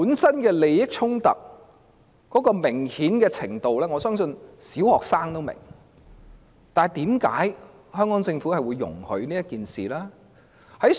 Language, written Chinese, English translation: Cantonese, 箇中明顯的利益衝突，我相信連小學生都明白，但為何特區政府會容許此事發生？, The conflict of interest involved is so obvious that even primary students can understand but how come the SAR Government has allowed this conflict to arise?